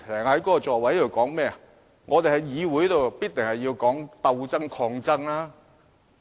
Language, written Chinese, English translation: Cantonese, 他說我們在議會內必須談鬥爭、抗爭。, He said that we had to wage struggles and put up resistance in the legislature